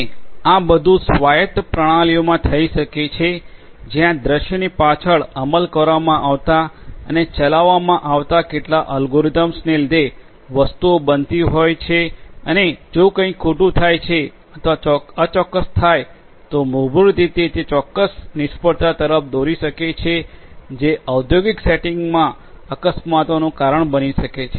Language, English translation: Gujarati, And, all of these can happen in autonomous systems where things are happening you know due to certain algorithms that are implemented you know behind the scene and are getting executed and if you know if some something goes wrong or is imprecise then basically that might lead to certain failures which can lead to accidents in the industrial settings